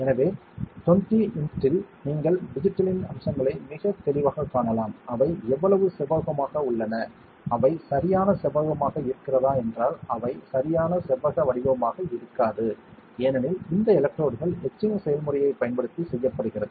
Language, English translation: Tamil, So, at 20x you can see much more clearly the features of the digits, how rectangular are they; are they perfectly rectangular they will not be perfectly rectangular, because if this electrodes are made using etching process